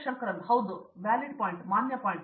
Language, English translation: Kannada, Shankaran: Yeah, valid point